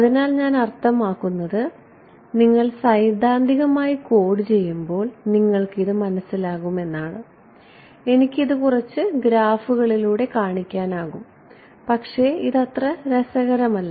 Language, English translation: Malayalam, So, this saw I mean you get a hang of this when you code it up theoretically I can show this some graphs, but it is not interesting ok